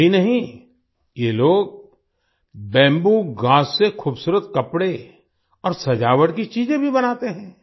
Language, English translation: Hindi, Not only this, these people also make beautiful clothes and decorations from bamboo grass